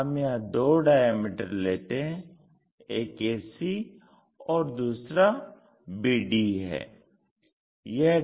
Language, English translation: Hindi, One of the diameter is this AC, the other diameter we can make it like BD